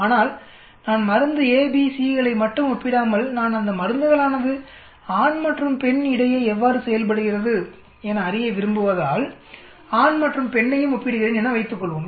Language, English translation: Tamil, But suppose I am comparing not only say drug a, b, c but I am also comparing between male and female, I want to know how the drug perform between male and female